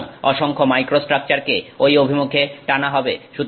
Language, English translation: Bengali, So, a lot of microstructure gets sort of pulled in that direction